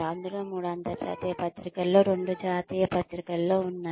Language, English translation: Telugu, Out of which, three were in international journals, two were in national journals